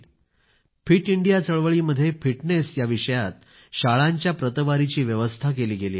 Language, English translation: Marathi, In the Fit India Movement, schedules have been drawn for ranking schools in accordance with fitness